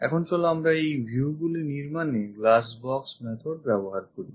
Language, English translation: Bengali, This is the way we construct top view using glass box method